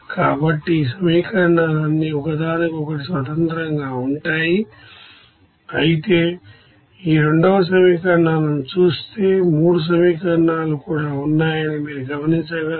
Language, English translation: Telugu, So all these equations are independent to each other, while if you look at these second set of equations you will see that there also there are 3 equations